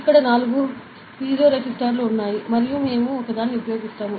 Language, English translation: Telugu, So, there are four piezoresistors here and we will be using an ok